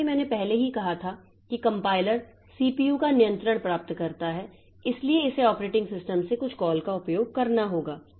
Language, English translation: Hindi, As I already said the compiler to get control of the CPU, so it has to use some call from the operating system